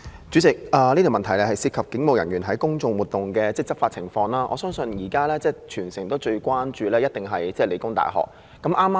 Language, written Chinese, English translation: Cantonese, 主席，這項質詢涉及警務人員在公眾活動中的執法情況，我相信現時全城最關注的，一定是香港理工大學的情況。, President this question is about the Polices law enforcement actions in public events . I believe what the entire city is most concerned about right now is the situation in The Hong Kong Polytechnic University PolyU